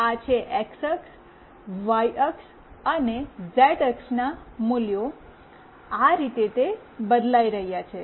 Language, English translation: Gujarati, This is the x axis, y axis and z axis values, this is how they are changing